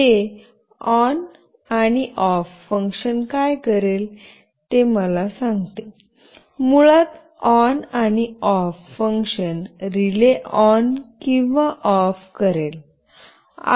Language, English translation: Marathi, Let me tell you what this ON and OFF function will do; basically the ON and OFF function will make the relay ON or OFF